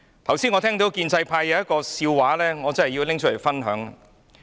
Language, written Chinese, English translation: Cantonese, 剛才我聽到建制派有一個笑話，我真的要說出來跟大家分享。, I have just heard a joke from the pro - establishment camp which I really want to share with you all